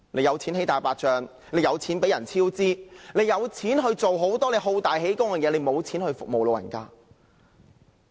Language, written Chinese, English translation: Cantonese, 有錢興建"大白象"工程、有錢讓工程超支、有錢做很多好大喜功的事，卻沒錢服務長者？, There is money for developing white elephants projects there is money to allow cost overruns in works projects and there is money to do many things to crave for greatness and success but there is none to serve the elderly?